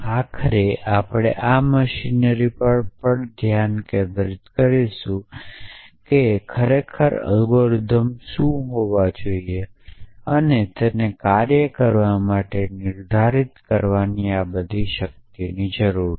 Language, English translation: Gujarati, Eventually we will also focus on this machinery what really this algorithm should be essentially this seems to wage and it needs all this power of non determinism to work